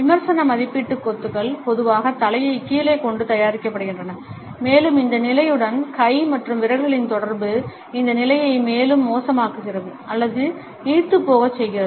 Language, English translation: Tamil, Critical evaluation clusters are normally made with the head down and we find that the association of hand and fingers with this position either further aggravates or dilutes these stands